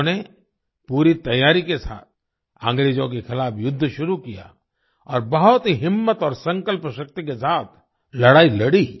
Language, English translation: Hindi, She started the war against the British with full preparation and fought with great courage and determination